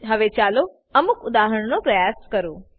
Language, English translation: Gujarati, Now, lets try some examples